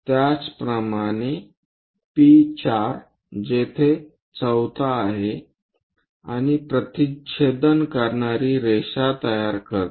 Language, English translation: Marathi, Similarly, P4 where 4th one and generate a line going to intersect